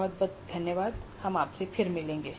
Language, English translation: Hindi, Thank you very much and we will meet you again